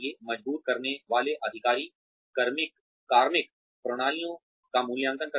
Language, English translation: Hindi, Reinforcing authorities evaluate personnel systems